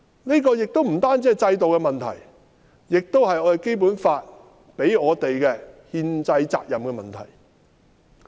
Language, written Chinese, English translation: Cantonese, 這不單是制度的問題，亦關乎《基本法》給予我們的憲制責任的問題。, Not only is this a problem with our system but it also relates to the constitutional responsibility imposed on us by the Basic Law